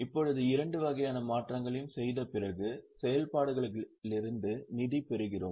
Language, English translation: Tamil, Now, after making both types of adjustments, we get fund from operations